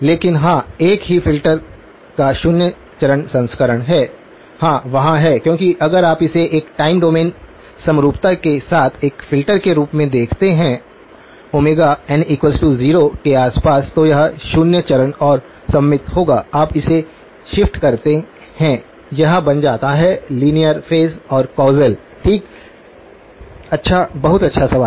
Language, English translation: Hindi, But yes is there a zero phase version of the same filter yes, there is because if you look at it as a filter with a time domain symmetry around omega n equal to 0, then it will be zero phase and symmetric you shift it, it becomes linear phase with and causal, okay good, very good question